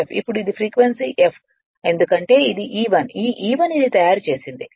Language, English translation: Telugu, Now it is frequency is F because this is E1 this E1 this you have made it